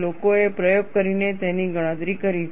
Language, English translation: Gujarati, People have done experimentation and calculated it